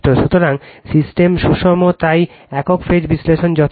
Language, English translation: Bengali, So, system is balanced, so single phase analysis is sufficient